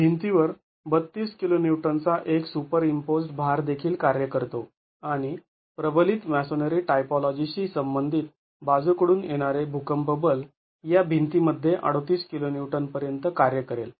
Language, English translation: Marathi, A superimposed load of 32 kiloons also acts on the wall and the lateral seismic force corresponding to the reinforced masonry typology will work out to 38 kilo Newton in this wall